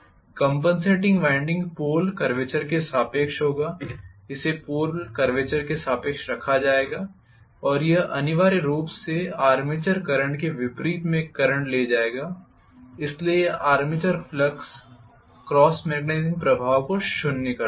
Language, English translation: Hindi, Compensating winding will be along the pole curvature, it will be placed along the pole curvature and it will be essentially carrying a current in the opposite sense of the armature current so that it will be nullifying the armature flux cross magnetizing effect